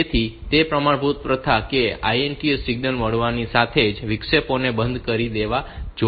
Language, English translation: Gujarati, So, it is a standard practice that interrupts should be turned off as soon as the INTA signal is received